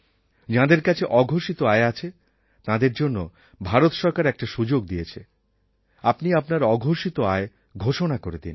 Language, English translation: Bengali, To the people who have undisclosed income, the Government of India has given a chance to declare such income